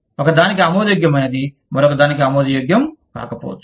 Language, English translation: Telugu, What is acceptable to one, may not be acceptable to another